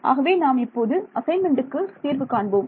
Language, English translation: Tamil, So, we will work this out in an assignment